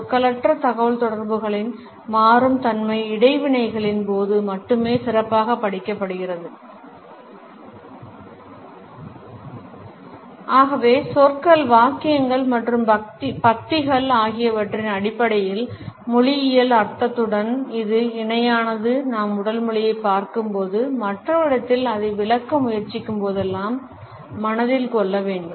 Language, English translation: Tamil, The dynamic nature of nonverbal communication is best studied during interactions only and therefore, this parallel with linguistic meaning in terms of words, sentences and paragraphs has to be kept in mind whenever we look at the body language and try to interpret it in others